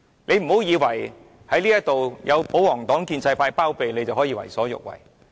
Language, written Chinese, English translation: Cantonese, 你不要以為有保皇黨、建制派包庇你，你便可以為所欲為。, Please do not assume that you may do as you please behind the shield of the pro - Government Members and the pro - establishment camp